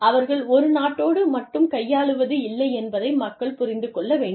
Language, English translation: Tamil, People, need to understand, that they are not dealing with, one country alone